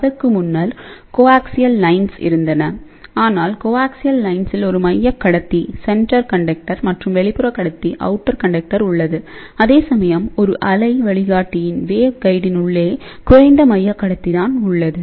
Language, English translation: Tamil, Before that of course, coaxial lines were there, but coaxial line has a center conductor and outer conductor, whereas, inside a waveguide there is a low central conductor